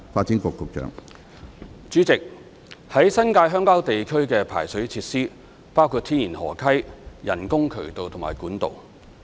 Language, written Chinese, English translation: Cantonese, 主席，於新界鄉郊地區的排水設施包括天然河溪、人工渠道及管道。, President the drainage facilities in rural areas in the New Territories NT comprise a mixture of natural streams man - made channels and pipes